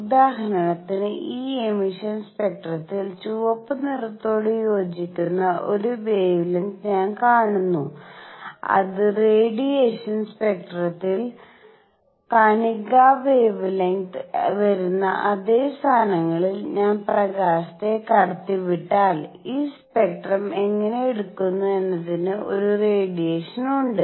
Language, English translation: Malayalam, For example, in this emission spectrum, I see a wavelength that corresponds to red corresponds to green and so on and in the absorption spectrum, if I let light pass through it at the same positions where the particle wavelengths are coming; there is an absorption how is this spectrum taken